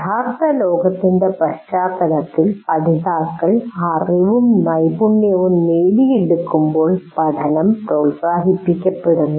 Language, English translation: Malayalam, Learning is promoted when learners acquire knowledge and skill in the context of real world problems or tasks